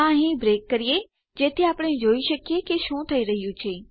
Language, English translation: Gujarati, Lets just beak it up here so we can see whats going on